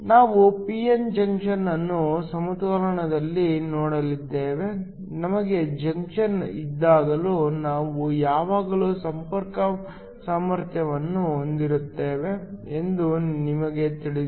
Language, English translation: Kannada, We have looked at a p n junction in equilibrium, we know that whenever we have a junction we always have a contact potential